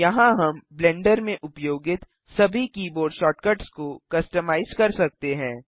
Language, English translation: Hindi, Here we can customize all the keyboard shortcuts used in Blender